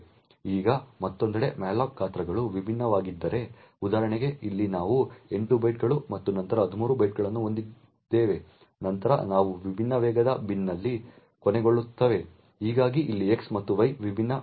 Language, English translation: Kannada, Now on the other hand if the malloc sizes are different for example here we have 8 bytes and then 13 bytes then they end up in different fast bin thus over here x and y would get different addresses